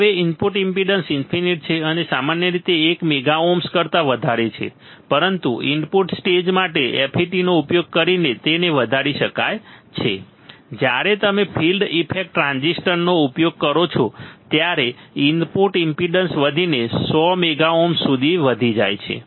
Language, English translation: Gujarati, Now input impedance is infinite and typically greater than one mega ohm, but using FETs for input stage it can be increased to several mega ohms you see when we use field effect transistor the input impedance will increase to several 100s of mega ohms